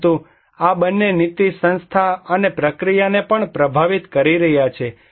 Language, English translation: Gujarati, But these two also is influencing the policy institution and process